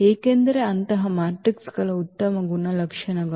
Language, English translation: Kannada, Because of the nice properties of such of matrices